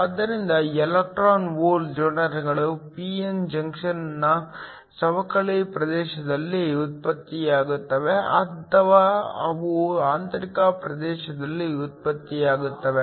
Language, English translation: Kannada, So, Electron hole pairs are generated either in the depletion region of the p n junction or they generated in the intrinsic region